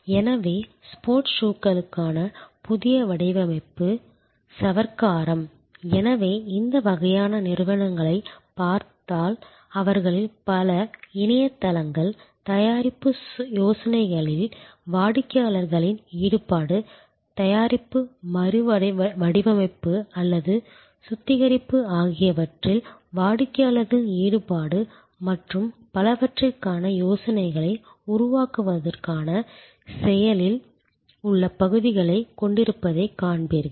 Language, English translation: Tamil, So, new design for sports shoes, detergents, so if you see these types of companies you will see many of their websites have active areas for crowd sourcing of ideas, for customers involvement in product ideas, customers involvement in product redesign or refinement and so on